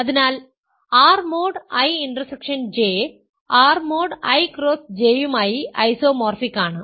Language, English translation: Malayalam, So, R mod I intersection J is isomorphic to R mod I cross R mod J